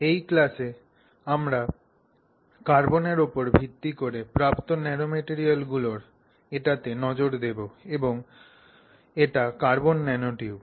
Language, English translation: Bengali, Hello, in this class we will look at one of the nanomaterials that is derived based on carbon and that is the carbon nanotube